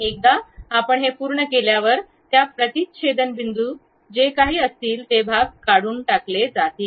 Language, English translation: Marathi, Once you are done, whatever those intersecting points are there, that part will be removed